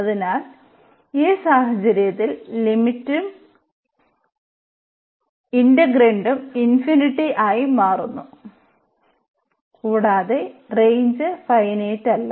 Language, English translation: Malayalam, So, in this case the integrand is also becoming infinity and the range is also not finite